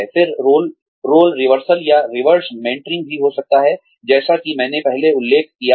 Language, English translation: Hindi, Then, there could also be, role reversal or reverse mentoring, like I mentioned earlier